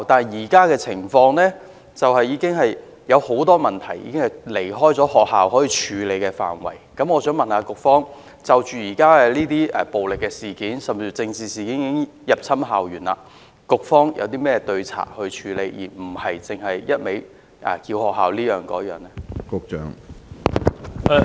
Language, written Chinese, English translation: Cantonese, 然而，現時有很多情況及很多問題已經超越學校能夠處理的範圍，我想問局方，現時暴力事件甚至政治事件已經入侵校園，局方除了要求學校處理以外，還有甚麼對策呢？, Nevertheless at present there are many situations and problems that have gone beyond the scope that can be handled by the institutions . Given that violent incidents or even political incidents are permeating institutions I would like to ask the Bureau What countermeasures does the Bureau have apart from asking the institutions to deal with such issues by themselves?